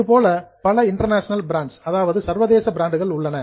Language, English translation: Tamil, Like that, there are also several international brands